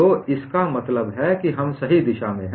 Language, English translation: Hindi, So, that means we are in the right direction